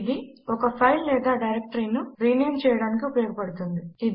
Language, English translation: Telugu, It is used for rename a file or directory